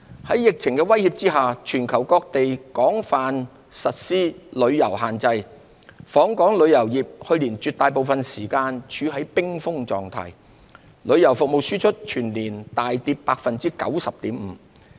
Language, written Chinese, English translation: Cantonese, 在疫情的威脅下，全球各地實施廣泛的旅遊限制，訪港旅遊業去年絕大部分時間處於冰封狀態，旅遊服務輸出全年大跌 90.5%。, Under the threat of the epidemic inbound tourism was brought to a frozen state for most of the time last year amid extensive travel restrictions worldwide . Exports of travel services fell drastically by 90.5 % for the year as a whole